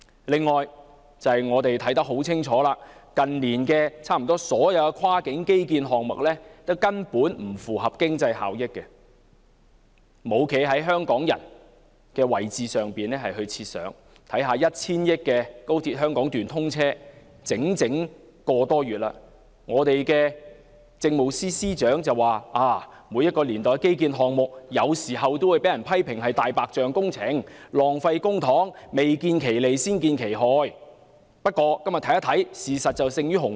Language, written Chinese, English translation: Cantonese, 此外，我們清楚看到，近年差不多所有跨境基建項目也不符合經濟效益，當局並無從香港人的位置設想，花費近 1,000 億元的高鐵香港段已通車個多月，政務司司長曾說，每一年代的基建項目，有時也會被批評為"大白象"工程，浪費公帑，未見其利、先見其害，但今天回看，事實勝於雄辯。, Furthermore we can see clearly that nearly all cross - border infrastructure projects carried out in recent years are not cost - effective as the authorities have not considered the projects from the perspective of the people of Hong Kong . In the case of XRL which costs close to 100 billion it has commenced operation for a month or so . The Chief Secretary for Administration once commented that infrastructure projects of every era might have been criticized as white elephant projects a waste of public money and bringing more harm than benefits and he said that reality speaks louder than words